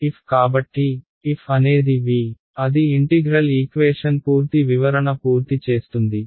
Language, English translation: Telugu, f right so, f is V so, that completes the full description of your integral equations